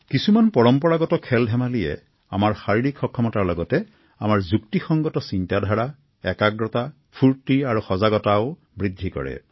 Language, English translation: Assamese, Traditional sports and games are structured in such a manner that along with physical ability, they enhance our logical thinking, concentration, alertness and energy levels